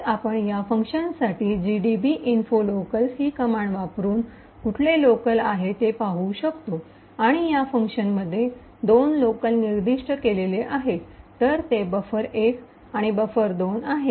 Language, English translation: Marathi, using this command info locals and we see that there are 2 locals specified in this function, so buffer 1 and buffer 2